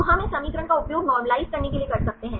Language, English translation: Hindi, So, we can use this equation to normalise